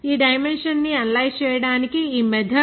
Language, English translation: Telugu, This method to analyze this dimension